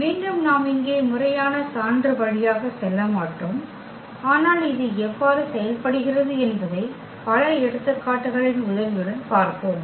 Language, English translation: Tamil, Again we will not go through the formal proof here, but we will see with the help of many examples, how this is working